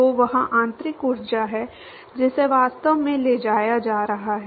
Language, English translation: Hindi, So, that is the internal energy that is actually being transported